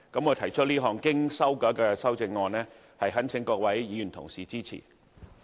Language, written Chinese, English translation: Cantonese, 我提出這項經修改的修正案，懇請各位議員支持。, I implore Members to support the revised amendment I moved